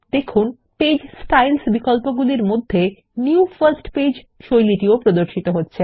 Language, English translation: Bengali, Notice that new first page style appears under the Page Styles options